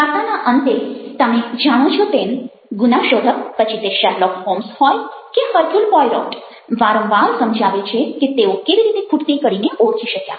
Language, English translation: Gujarati, at the end of the story you find the detective very often explaining whether it is sherlock holmes or hercule poirot, ah, explaining how he has been able to identify the missing link